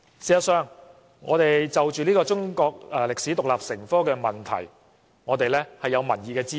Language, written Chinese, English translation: Cantonese, 事實上，就着中史獨立成科的問題，我們是有民意的支持。, The fact is our call for teaching Chinese history as an independent subject is backed by public opinion